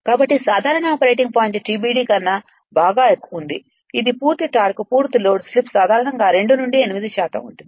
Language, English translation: Telugu, So, the normal operating point is located well below TBD that is the maximum torque the full load slip is usually 2 to 8 percent right